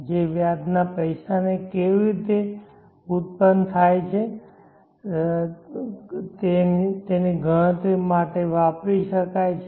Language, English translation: Gujarati, So there is an interest, interest rate which can be used for calculating for how the value of the money is grown